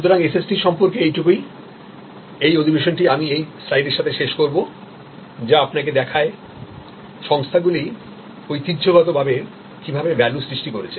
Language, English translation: Bengali, So, that is all about SST, this session I will end with this particulars slide which shows you, the traditional way value has been created in organizations